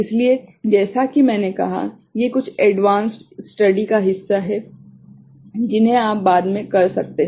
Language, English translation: Hindi, So, these are as I said, these are part of some advanced study that you can take up later ok